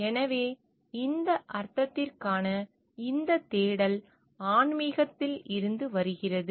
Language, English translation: Tamil, So, this search for this meaning comes from spirituality